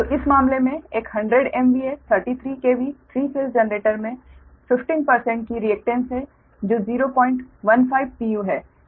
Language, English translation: Hindi, so in this case, a hundred m v, a thirty three k v, three phase generator has a reactance of fifteen percentage